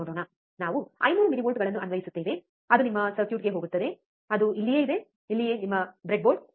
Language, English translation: Kannada, Let see so now, we apply 500 millivolts, it goes to your circuit, right which is, right over here which is your breadboard